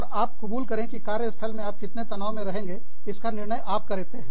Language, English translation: Hindi, And, accept that you decide, how much stress, you are under